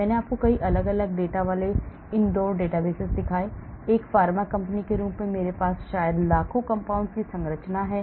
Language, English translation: Hindi, I showed you so many different data inhouse database, as a pharma company I have structures of maybe millions of compounds